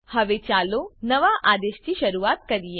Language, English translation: Gujarati, Now let us start with the new command